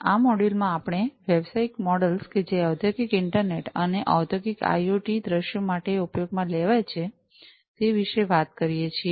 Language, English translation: Gujarati, In this module, we have talked about the business models that could be used for Industrial internet and Industrial IoT scenarios